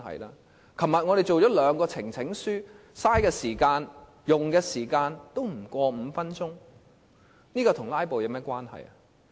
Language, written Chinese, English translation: Cantonese, 立法會昨天處理了兩項呈請書，所花的時間不超過5分鐘，這修正與"拉布"有何關係？, The Legislative Council spent less than five minutes on handling two petitions yesterday . How is this amendment proposal related to filibustering? . Let me talk about the past practice